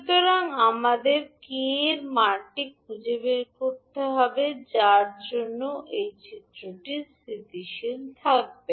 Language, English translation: Bengali, So we need to find out the value of K for which this particular figure will be stable